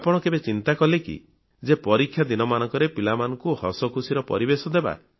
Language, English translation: Odia, Have you ever thought of creating an atmosphere of joy and laughter for children during exams